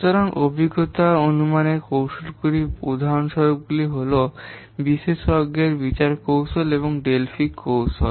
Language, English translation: Bengali, So, examples of empirical estimation techniques are export judgment technique and Delphi technique